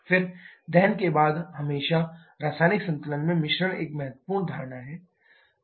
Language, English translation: Hindi, Then mixture always in chemical equilibrium after combustion that is an important assumption